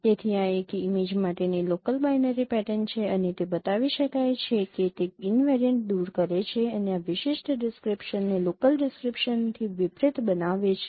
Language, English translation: Gujarati, So this is the local binary pattern for an image and it can be shown it is invariant illumination and contrast this particular description, local descriptions